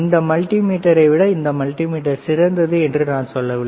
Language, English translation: Tamil, I am not telling that this multimeter is better than this multimeter